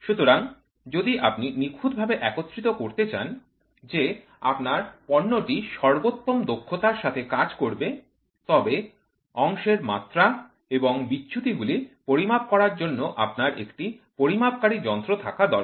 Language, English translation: Bengali, So, if you want to have perfect assembly such that your product is working to the best efficiency, you need to have a measuring device to measure the part dimensions and deviations